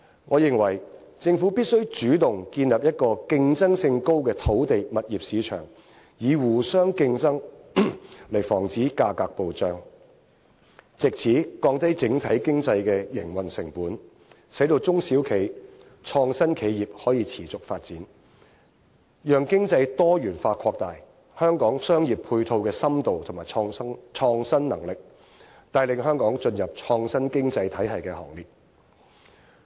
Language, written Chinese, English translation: Cantonese, 我認為政府必須主動建立一個競爭性高的土地/物業市場，以互相競爭來防止價格暴漲，藉此降低整體經濟的營運成本，使到中小企創新企業可以持續發展，讓經濟多元化擴大香港配套的深度和創新能力，帶領香港進入創新經濟體系的行列。, In my opinion the Government must take the initiative to establish a highly competitive market for land and property and prevent excessive price hikes through competition so as to reduce business costs in the overall economy thereby enabling SMEs and companies in the creative sector to sustain their business . The resulting economic diversification will then expand the depth of business support measures and creativity in Hong Kongs commercial sector and further bring Hong Kong forward to become an innovative economy